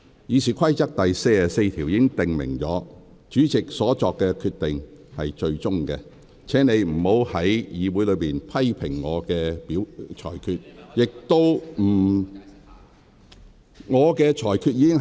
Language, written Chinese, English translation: Cantonese, 《議事規則》第44條訂明，主席所作決定為最終決定，請你不要在會議上評論我的裁決。, Rule 44 of the Rules of Procedure stipulates that the Presidents decision on a point of order shall be final . So please do not comment on my ruling in the meeting